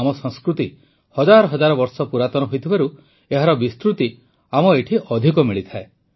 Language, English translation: Odia, Since our culture is thousands of years old, the spread of this phenomenon is more evident here